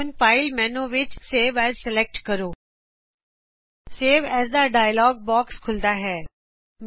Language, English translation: Punjabi, Select File menu Save As Save As dialog box opens